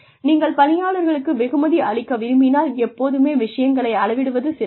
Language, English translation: Tamil, If you want to reward employees, it is always nice to quantify things